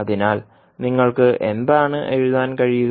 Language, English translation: Malayalam, So what will write